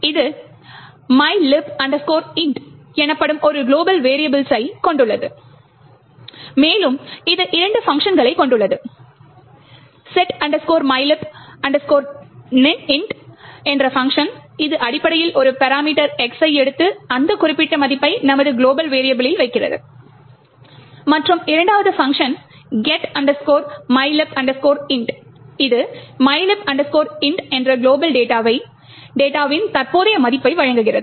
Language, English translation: Tamil, It comprises of one global variable called mylib int and it has two functions set mylib int which essentially takes a parameter X and sets our global variable to that particular value and the second function get mylib int returns the current value that global data mylib int